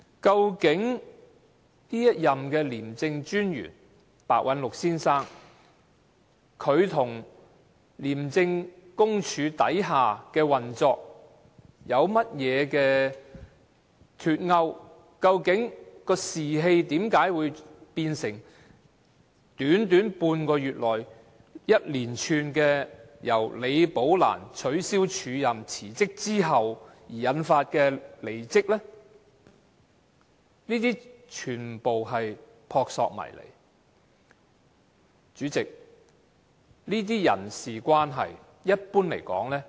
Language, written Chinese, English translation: Cantonese, 究竟這一任廉政專員白韞六先生跟廉署轄下的運作有否脫鈎，為何會在短短半個月內，由李寶蘭被取消署任、提出辭職之後，引發連串離職事件呢？, Has Mr Simon PEH the incumbent ICAC Commissioner already lost touch the function of ICAC? . How come in just half a month the cancellation of Rebecca LIs acting appointment and her resignation could trigger a whole series of resignations?